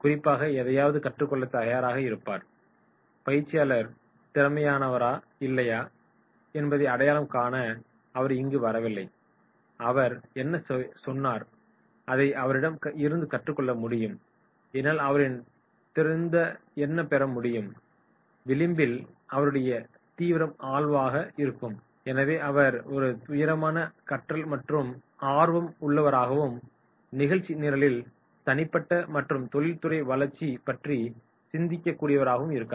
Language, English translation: Tamil, He has come especially to learn something, he has not come here to identify whether the trainer is competent or not, he has come here that whatever he says and what I can gain, what I can gain for me that is his keen interest and therefore he is a keen learner and his agenda is personal and professional growth